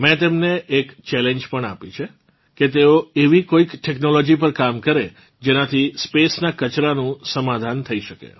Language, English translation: Gujarati, I have also given him a challenge that they should evolve work technology, which can solve the problem of waste in space